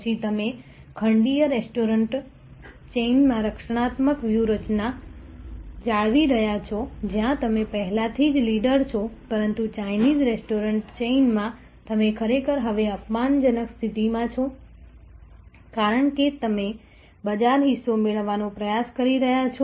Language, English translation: Gujarati, Then, you are maintaining a defensive strategy in the continental restaurant chain, where you are already a leader, but in the Chinese restaurant chain you are actually, now in an offensive mode, because you are trying to acquire market share